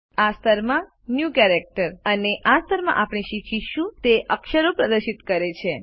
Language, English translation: Gujarati, The New Characters in This Level displays the characters we will learn in this level